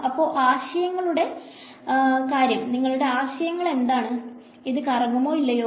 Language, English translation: Malayalam, So, what is your intuitive idea, does this swirl or does it not swirl